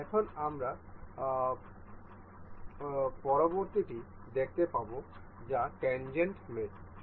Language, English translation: Bengali, Now, we will see the next one that is tangent mate